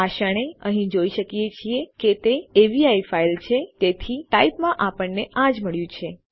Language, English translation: Gujarati, At the moment we can see from here that it is an avi file so therefore thats what we get in type